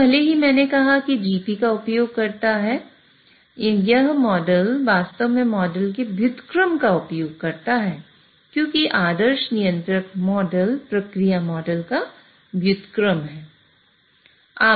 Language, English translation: Hindi, So, even though I said it used this model, it actually uses the inverse of the model because controller model is the ideal controller model is the inverse of a process model